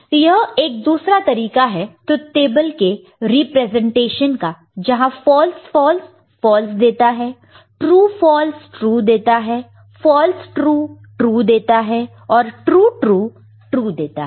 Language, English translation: Hindi, So, this is another way we can say that a representation of truth table, where this False False gives you False; True False gives you True; False True gives you True and True give you True